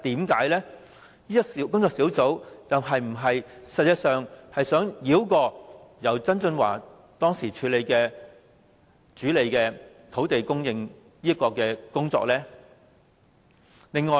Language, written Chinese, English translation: Cantonese, 工作小組實際上是否想繞過由曾俊華當時主理土地供應的工作？, Did the Task Force actually intended to bypass the work on land supply being handled by John TSANG at that time?